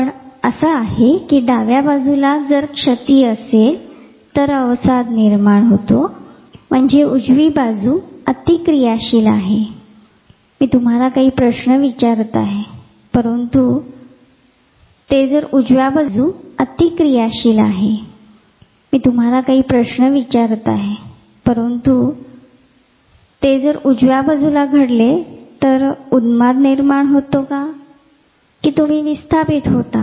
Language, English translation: Marathi, So, we do not know, so is it that on the left side there is a lesion, there is a depression, that means, the right side is overactive I am just throwing you a question, but if it happens on the right side then the mania comes out you become dis inhabited